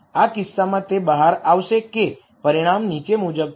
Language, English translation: Gujarati, In this case it will turn out that the result is the following